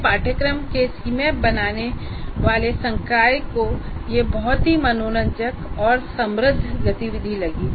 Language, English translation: Hindi, Faculty creating C maps of their courses found it very enjoyable and enriching activity